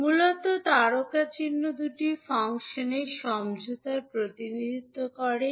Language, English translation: Bengali, Basically the asterisk will represent the convolution of two functions